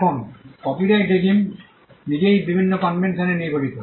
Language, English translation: Bengali, Now, copyright regime in itself comprises of various conventions